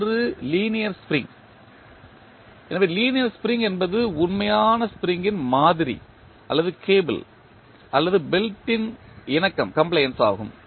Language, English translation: Tamil, One is linear spring, so linear spring is the model of actual spring or a compliance of cable or belt